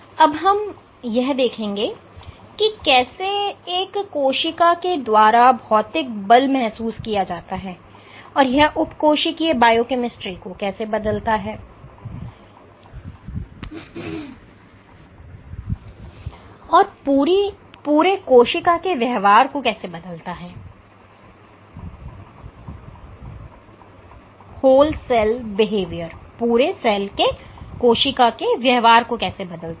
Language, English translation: Hindi, So, I will discuss how physical forces are sensed by cells and how it alters sub cellular biochemistry, and whole cell behavior